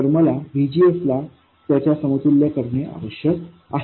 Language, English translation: Marathi, So, somehow I have to make VGS to be equal to this